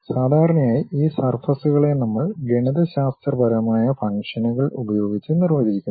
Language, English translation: Malayalam, And, usually these surfaces we define it by mathematical functions